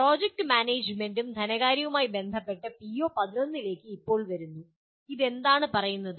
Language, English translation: Malayalam, Now coming to PO11 which is related to project management and finance, what does it say